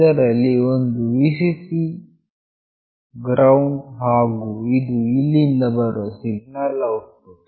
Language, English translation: Kannada, There is a Vcc, GND and this is the signal output that is coming here